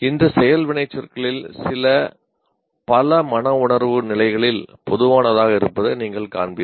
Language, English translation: Tamil, And here you will see some of the works are, action verbs are common